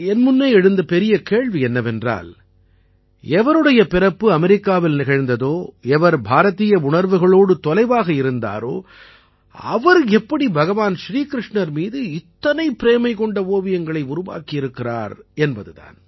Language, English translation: Tamil, The question before me was that one who was born in America, who had been so far away from the Indian ethos; how could she make such attractive pictures of Bhagwan Shir Krishna